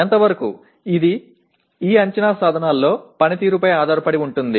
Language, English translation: Telugu, To what extent, it is based on the performance in these assessment instruments